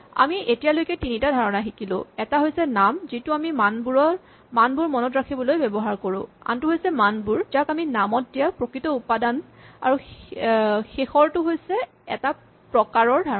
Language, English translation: Assamese, We have seen three concepts names which are what we use to remember values, values which are the actual quantities which we assign to names and we said that there is a notion of a type